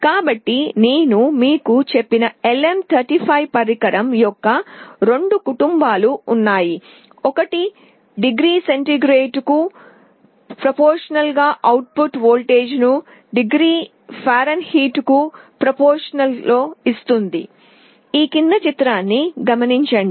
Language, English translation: Telugu, So, there are two families of LM35 device I told you, one gives you the output voltage proportional to degree centigrade other proportional to degree Fahrenheit